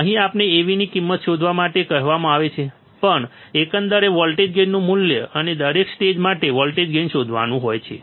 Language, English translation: Gujarati, Here, we are asked to find the value of Av, we have to find the value of overall voltage gain, and also the voltage gain for each stage